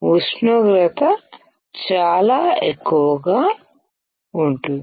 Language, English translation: Telugu, The temperature is extremely high